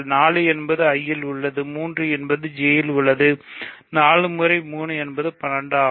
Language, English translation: Tamil, So, 4 is in I, 3 is in J, 4 times 3 which is 12